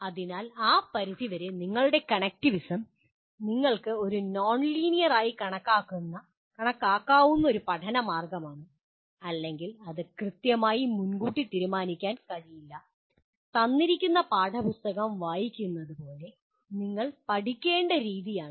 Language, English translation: Malayalam, So your connectivism to that extent is a means of or means of learning which you can consider nonlinear and it cannot be exactly decided in advance this is the way you have to learn like reading a given textbook